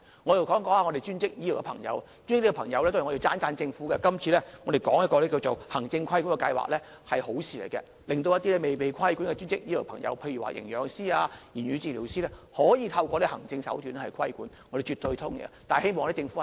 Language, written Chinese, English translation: Cantonese, 我想說一說專職醫療的朋友，就專職醫療方面，這次我要讚賞政府，這個行政規管計劃是好事，令一些未被規管的專職醫療朋友，例如營養師、言語治療師，可以透過行政手段規管，我們絕對同意。, This time I have to praise the Government for proposing an administrative regulation scheme . It is a desirable move . Under the scheme formerly unregulated allied health professionals will be subject to regulation through administrative means